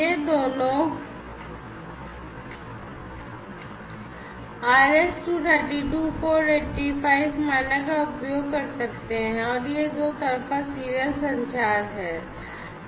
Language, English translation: Hindi, So, these two can use the RS 232/485 standard, right and this is also two way serial communication